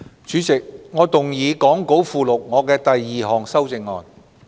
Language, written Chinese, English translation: Cantonese, 主席，我動議講稿附錄我的第二項修正案。, Chairman I move my second amendment as set out in the Appendix to the Script